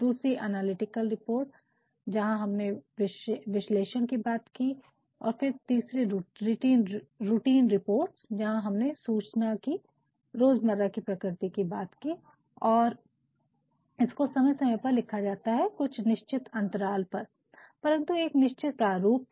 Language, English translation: Hindi, The second was analytical where we talked about analysis and then the third is routine reports, where we talked about the inflammation of routine nature and whichwhich are written from time to time at regular intervals, but in a fixed pro forma